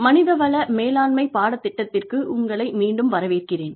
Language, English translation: Tamil, Welcome back, to the course on, Human Resource Management